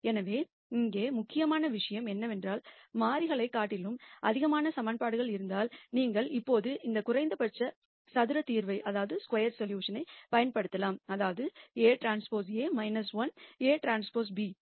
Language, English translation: Tamil, So, the important point here is that if we have more equations than variables then you can always use this least square solution which is a transpose A inverse A transpose b